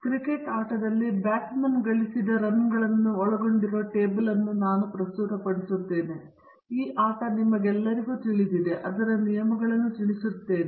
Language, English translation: Kannada, So, I am presenting data in a table which contains the runs scored by a batsman in the game of cricket, I hope all of you know this game and know its rules